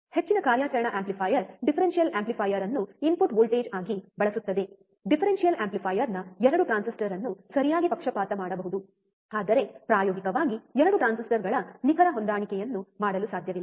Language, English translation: Kannada, A most of the operational amplifier use differential amplifier as the input voltage the 2 transistor of the differential amplifier must be biased correctly, but practically it is not possible to exact match exact matching of 2 transistors